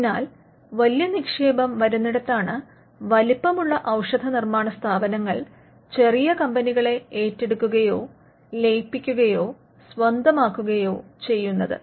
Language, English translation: Malayalam, So, where the big investment comes that is the point at which the bigger pharmaceutical firms will come and take over or merge or acquire a smaller company